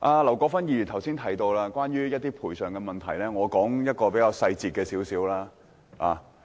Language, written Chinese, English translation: Cantonese, 劉國勳議員剛才提到關於土地賠償的問題，我現在舉一個比較具體的例子。, Mr LAU Kwok - fan mentioned the problem of land resumption compensation earlier and I will give a more specific example now